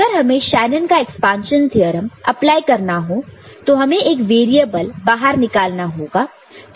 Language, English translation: Hindi, And if you need to want to apply Shanon’s expansion theorem, one variable we want to take out